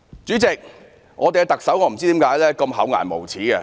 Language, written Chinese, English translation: Cantonese, 主席，我不知道特首為何這麼厚顏無耻。, President I do not know why the Chief Executive can be as shameless as that